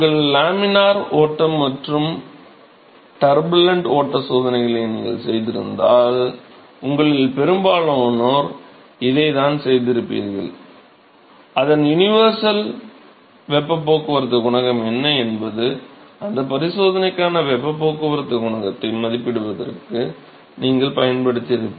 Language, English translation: Tamil, So, this is what this U is what most of you would have used if you did your laminar flow and turbulent flow experiments, its universal heat transport coefficient concept is what you would have used to estimate the heat transport coefficient for that experiment